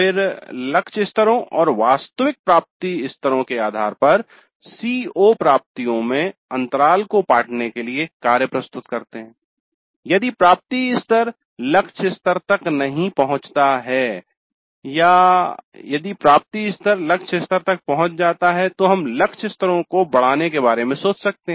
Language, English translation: Hindi, Then based on the target levels and the actual attainment levels proposing actions to the bridge the gaps in the CO attainments in case the attainment level has not reached the target levels or if the attainment levels have reached the target levels we could think of enhancing the target levels